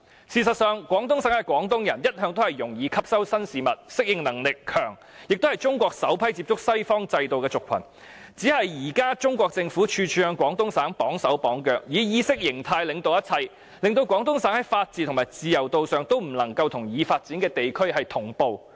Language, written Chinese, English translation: Cantonese, 事實上，廣東省的廣東人一向容易吸收新事物、適應能力強，也是中國首批接觸西方制度的族群，只是現時中國政府處處向廣東省"綁手綁腳"，以意識形態領導一切，令廣東省在法治和自由度上也不能夠與已發展地區同步。, Actually Guangdong people in the Guangdong Province are all along receptive to new ideas and highly adaptable . They were also the first group of people exposed to the western system . The problem is merely that at present the Chinese Government imposes various restrictions and constraints on the Guangdong Province in various aspects and governs everything with its ideology